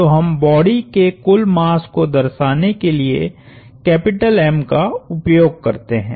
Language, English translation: Hindi, So, we use the same capital M to denote the total mass of the body